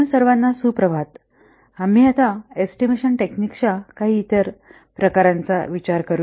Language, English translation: Marathi, We will see some different other types of estimation techniques